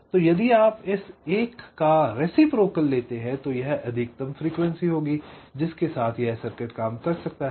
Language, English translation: Hindi, so if you take the reciprocal of this, one by this, this will be the maximum frequency with this circuit can operate